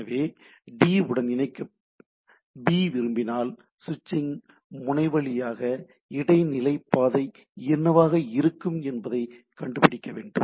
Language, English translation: Tamil, So, if a B wants come to connect to D what should be the path intermediate through the switching node, that need to be find out